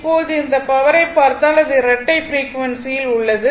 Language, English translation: Tamil, So now, in that case if you look that power, this is at this is at double frequency right